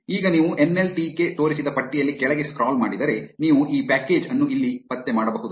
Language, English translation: Kannada, Now, if you scroll down in the list that nltk showed you can locate this package here